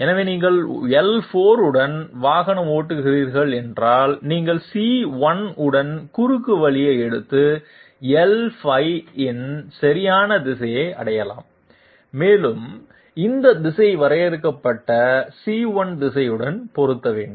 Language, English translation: Tamil, So if you are driving along L4, you can take a shortcut along C1 and reach the correct direction of L5 and this direction has to match with the direction of defined C1